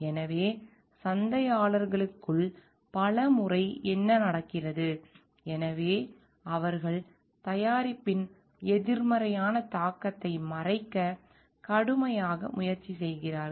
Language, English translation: Tamil, So, man marketers many times what happens; so, they try hard to hide the negative impact of the product